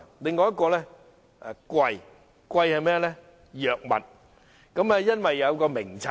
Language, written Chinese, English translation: Cantonese, 第二是藥物昂貴，因為設有《藥物名冊》。, This is worrying indeed . Second is expensive drugs because of the Drug Formulary